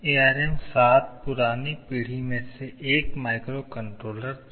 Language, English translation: Hindi, ARM7 was one of the previous generation microcontrollers